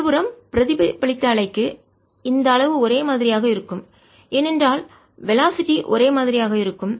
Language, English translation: Tamil, on the other hand, for the reflected wave, the size is going to be the same because the velocities are the same